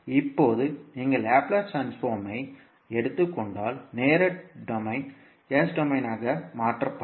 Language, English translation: Tamil, Now, if you take the Laplace transform we get the time domain equation getting converted into s domain